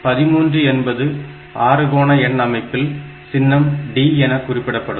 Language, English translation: Tamil, 13 in hexadecimal number system is represented by the symbol D